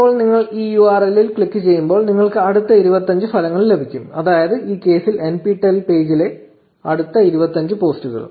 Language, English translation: Malayalam, Now when you click on this URL you get the next 25 results, which is a next 25 posts on the NPTEL page in this case